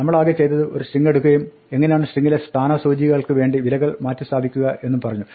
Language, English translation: Malayalam, All we have done is we have taken a string and we have told us how to replace values for place holders in the string